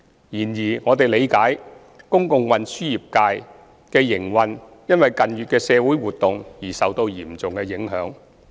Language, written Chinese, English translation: Cantonese, 然而，我們理解公共運輸業界的營運因近月社會活動而受到嚴重影響。, However we understand that the operating environment of the public transport sector has been greatly affected by the social activities in recent months